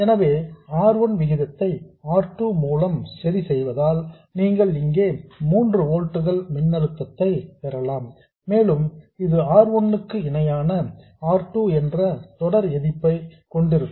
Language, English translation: Tamil, So, by adjusting the ratio of R1 by R2, you can get 3 volts voltage here and it will have a series resistance R1 parallel R2